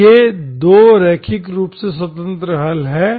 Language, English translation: Hindi, And these are 2 linearly independent solutions